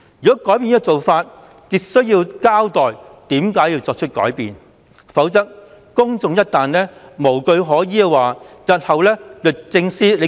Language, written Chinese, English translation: Cantonese, 如果改變這做法，便需要交代為何要作出改變，否則公眾一旦無據可依，日後律政司便說了算。, In case of any changes to this practice DoJ must explain the reasons for such changes . Otherwise if the public have no basis to follow then DoJ can have all the say in the future